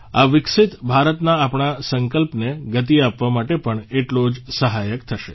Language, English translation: Gujarati, This will provide a fillip to the pace of accomplishing our resolve of a developed India